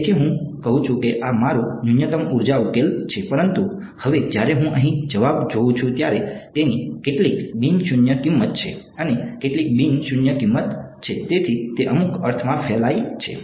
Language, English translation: Gujarati, So, I say very good this is my minimum energy solution, but now when I look at the answer over here, it has some non zero value of x 1 and some non zero value of x 2, so there in some sense spread out ok